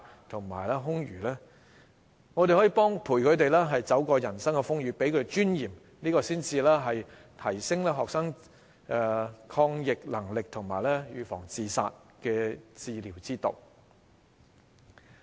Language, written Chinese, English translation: Cantonese, 我們可以陪伴他們走過人生的風雨，給他們尊嚴，這才是提升學生抗逆能力和預防自殺的治療之道。, We can accompany students to weather the storms in their lives and give them dignity . This is the right way to enhance students resilience and prevent suicides